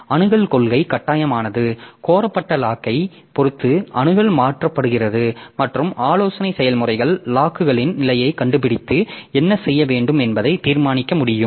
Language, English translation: Tamil, Access policy is so one is mandatory so access is denied depending on the locks held and requested and advisory processes can find status of locks and decide what to do